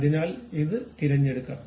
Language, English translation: Malayalam, So, first I have selected that